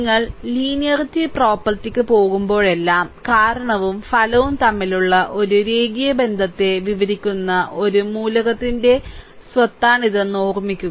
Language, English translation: Malayalam, So, whenever, we go for linearity property, so basically it is the property of an element describe a linear relationship between cause and effect